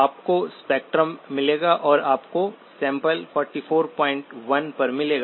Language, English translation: Hindi, You will get the spectrum and you will get the sampling at 44